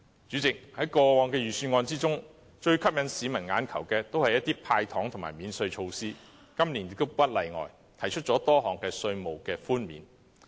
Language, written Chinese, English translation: Cantonese, 主席，在過往的預算案中，最吸引市民"眼球"的皆是一些"派糖"和免稅措施，今年亦不例外，提出了多項稅務寬免。, Chairman in past budgets the most eye - catching measures were handouts of candies and tax concessions . This year is no exception . Various tax concessions have been proposed